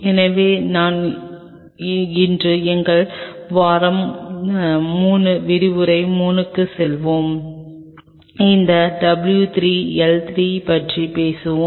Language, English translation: Tamil, So, today while we are moving on to our week 3 lecture 3; we will talk about those w 3 L3